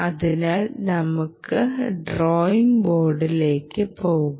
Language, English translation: Malayalam, ok, so lets go back to the drawing board